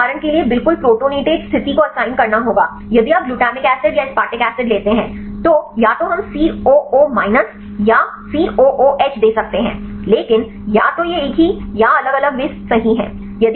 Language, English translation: Hindi, So, you have to assign the exactly protonated state for example, if you take the glutamic acid or aspartic acid, either we can give coo minus or COOH, but either same or different they are different right